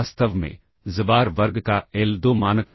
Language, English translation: Hindi, In fact, the l2 norm of xbar square